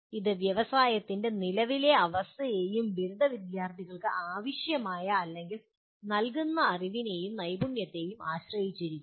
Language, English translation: Malayalam, It depends on the current state of the industry and the kind of knowledge and skill sets that are required or given to the graduating students